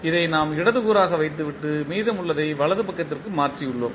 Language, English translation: Tamil, We have kept this as left component and rest we have shifted to right side